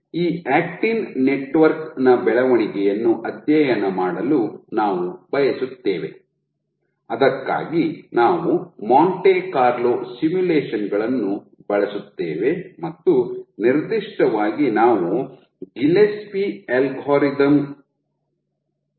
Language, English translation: Kannada, So, we want to study the growth of this actin network, for that we use Monte Carlo simulations and specifically we use an algorithm called Gillespie algorithm